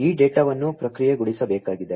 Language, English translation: Kannada, This data will have to be processed